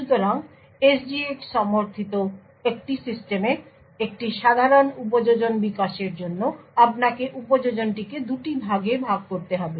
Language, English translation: Bengali, So a typical application development on a system which has SGX supported would require that you actually split the application into two parts